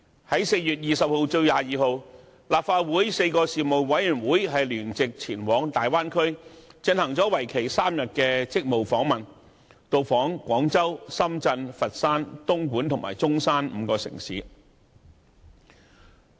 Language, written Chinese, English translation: Cantonese, 立法會轄下4個事務委員會於4月20日至22日，聯席前往大灣區進行為期3天的職務訪問，到訪廣州、深圳、佛山、東莞和中山5個城市。, During a three - day duty visit to the Bay area during the period from 20 to 22 April four Legislative Council panels toured five cities namely Guangzhou Shenzhen Foshan Dongguan and Zhongshan